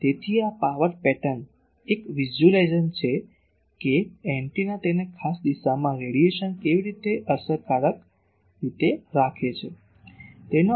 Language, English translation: Gujarati, So, this power pattern is a simple visualization of how effectively antenna puts it is radiation in a particular direction